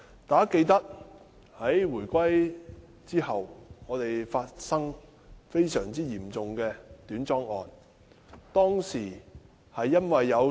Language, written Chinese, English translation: Cantonese, 大家記得，在回歸後，我們發生非常嚴重的短樁事件。, We all remember the very serious short - piling incident after the reunification